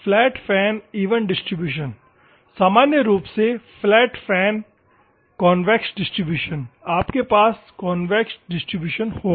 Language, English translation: Hindi, Flat fan, even distribution, normally flat fan convex distribution, you will have convex distribution